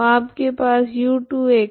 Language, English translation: Hindi, So how do we do this